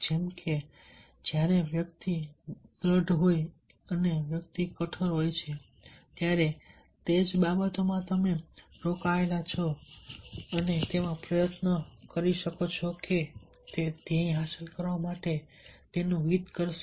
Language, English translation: Gujarati, grit and the individual have being gritty, he can put effort in the, in the things in which you are engaged, and it will do it interest to achieve the goal